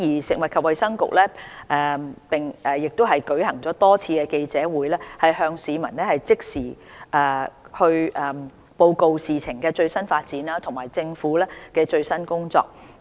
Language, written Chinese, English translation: Cantonese, 食物及衞生局亦舉行了多次記者會，向市民即時報告事情的最新發展及政府的最新工作。, Besides the Food and Health Bureau has held a number of press conferences to provide the public with immediate updates on the development of the disease and the work of the Government